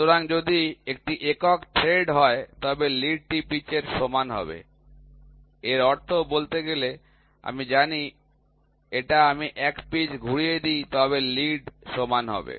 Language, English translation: Bengali, So, if it is a single thread then the lead will be equal to pitch so; that means, to say I know if I rotate it by one pitch the lead will be equal